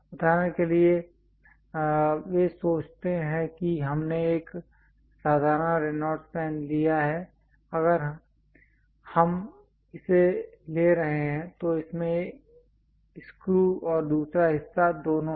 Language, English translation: Hindi, For example, ah they ah think what we have taken a simple Reynolds pen, if we are taking it has both the screw and the other part